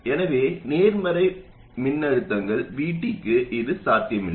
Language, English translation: Tamil, So this is not possible for positive threshold voltages VT